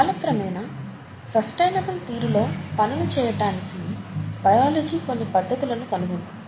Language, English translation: Telugu, And, over time, biology has found methods to do things in a sustainable fashion